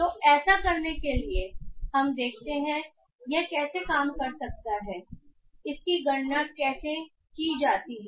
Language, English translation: Hindi, So, in order to do that let us see how this work, how this is calculated